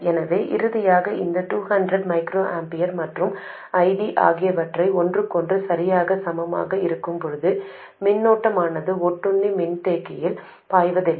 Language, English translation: Tamil, So, finally, the circuit settles down when this 200 microamperors and ID are exactly equal to each other so that no current flows into the parasitic capacitor